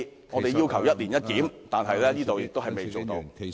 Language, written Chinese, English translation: Cantonese, 我們要求"一年一檢"，但政府卻仍未落實......, We demand a review once every year . However the Government has still failed to implement